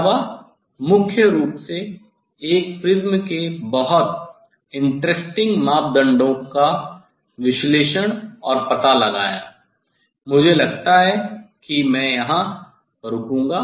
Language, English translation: Hindi, Also, mainly one has to analyze and find out the very, very interesting parameters of the prism I think I will stop here